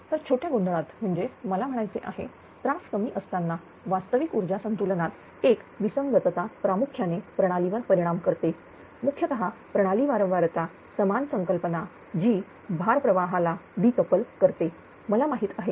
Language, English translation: Marathi, So, for small perturbation when I mean ah disturbance is very small right a mismatch in the real power balance affects primarily the system primarily the system frequency same concept that decoupled load flow, I have use know